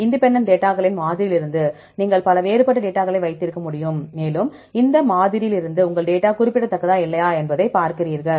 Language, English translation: Tamil, From the sampling of independent data right, you can have the various several different data right, and from this sampling, you see whether your data is significant or not